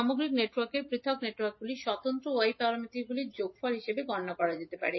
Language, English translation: Bengali, We can find out the Y parameter of the overall network as summation of individual Y parameters